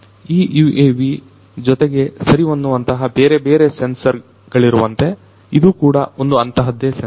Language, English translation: Kannada, So, like this UAV could be fitted with different sensors, this is one such sensor to which it is fitted